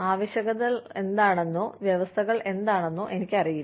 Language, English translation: Malayalam, Sometimes, I do not know, what the requirements are, or what the conditions are